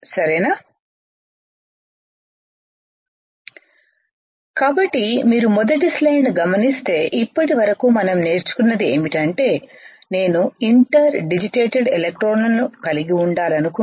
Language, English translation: Telugu, So, if you see the first slide this is what we have learned until now is that if I want to have a interdigitated electrodes right